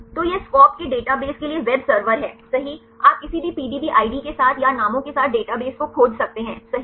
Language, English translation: Hindi, So, this is the web server right the database of SCOP, you can search the database right with any PDB id right or with the names